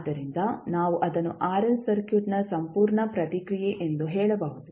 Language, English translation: Kannada, So, what we can say that the complete response of RL circuit